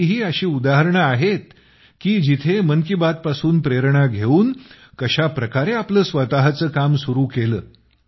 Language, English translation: Marathi, There are many more examples, which show how people got inspired by 'Mann Ki Baat' and started their own enterprise